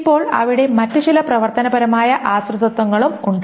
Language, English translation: Malayalam, Now there are some other functional dependencies as well